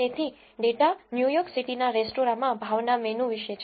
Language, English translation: Gujarati, So, the data is about menu pricing in restaurants of New York City